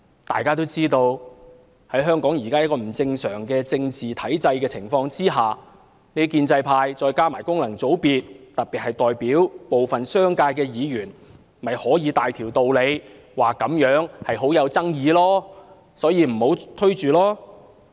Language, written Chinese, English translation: Cantonese, 大家都知道，在香港這個不正常的政治體制下，建制派加上功能界別，特別是代表部分商界的議員，就可以有大道理說這議題具爭議性，不應急於推展。, As we all know under the crooked political system of Hong Kong Members from the pro - establishment camp and functional constituencies particularly those representing the business sector can put forward a host of reasons to argue that this is a controversial issue and should not be pushed through